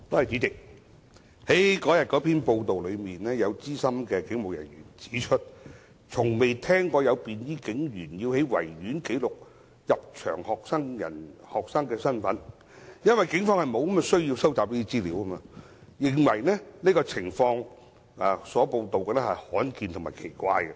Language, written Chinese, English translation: Cantonese, 主席，根據有關報道，有資深警務人員指出，從未聽說有便衣警員在維多利亞公園記錄入場學生的身份，因為警方沒有需要收集這些資料，他亦認為報道所述的情況罕見及奇怪。, President according to the relevant reports a senior police officer pointed out that he has never heard of plainclothes policemen recording the identity of students in the Victoria Park . As it was unnecessary for the Police to collect such information he also considered the case reported as rare and odd